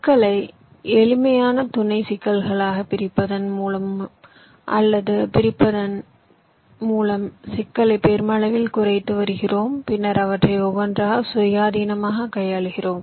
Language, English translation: Tamil, we are reducing the complexity of the problem to a great extent by dividing or splitting the problem into simpler sub problems and then handling them just by one by one, independently